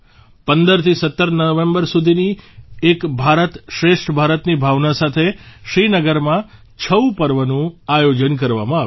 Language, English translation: Gujarati, 'Chhau' festival was organized in Srinagar from 15 to 17 November with the spirit of 'Ek Bharat Shreshtha Bharat'